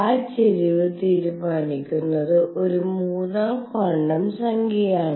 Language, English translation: Malayalam, And that tilt is going to be decided by a third quantum number